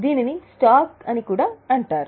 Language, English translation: Telugu, It is also called as stock